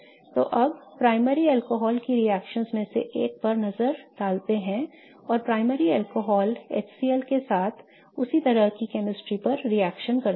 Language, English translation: Hindi, So, now let us look at one of the reactions of primary alcohols and how primary alcohols react with HCL to do the same kind of chemistry